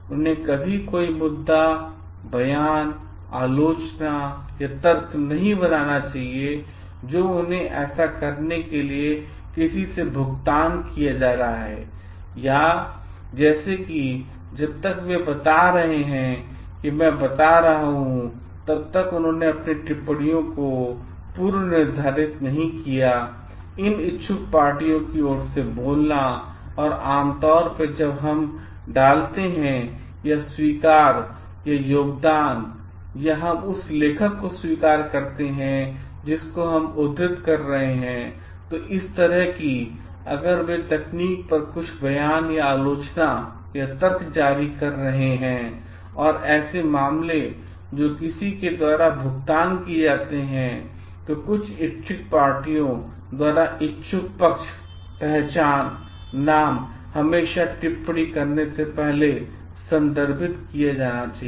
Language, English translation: Hindi, They should never like make issue any statement, criticism or argument which they are being paid for to do so by interest parties or like unless they have prefaced their comments by identifying like telling I am speaking on behalf of these interested parties and like generally when we put acknowledge or contribution or we acknowledge the author from whom we are quoting, similarly like if they are issuing certain statement criticism or argument on technical matters which are paid by someone, by some interested parties that interested parties identity, name should always be like referred to before making the comments